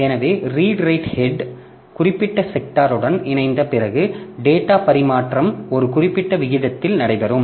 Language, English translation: Tamil, So, after the redried head has been aligned with the particular sector, the data transfer will take place at a certain rate